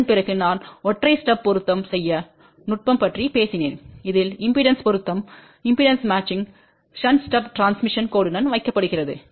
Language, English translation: Tamil, After that I talked about single stub matching technique in which a shunt stub is placed along with the transmission line to do the impedance matching